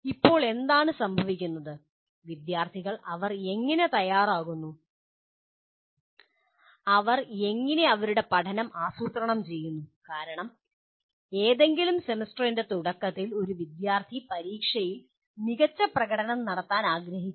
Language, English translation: Malayalam, Now what happens students how do they prepare, how do they plan their learning because at the beginning of any semester, a student really wants to do well in the examination